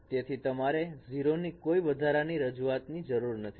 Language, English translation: Gujarati, So we do not require any additional introduction of 0